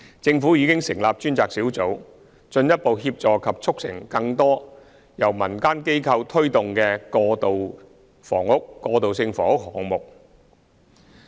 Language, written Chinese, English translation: Cantonese, 政府已成立專責小組，進一步協助及促成更多由民間機構推動的過渡性房屋項目。, The Government has established a task force to further support and facilitate the implementation of more community initiatives on transitional housing